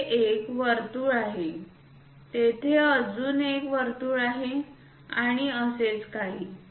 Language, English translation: Marathi, There is a circle there is another circle there is another circle and so, on